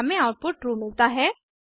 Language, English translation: Hindi, We get output as true